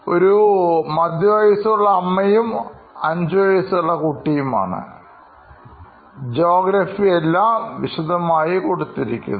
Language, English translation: Malayalam, So, this is her persona of a middle age mother with her 5 year child and the geography is given and all the detailing is done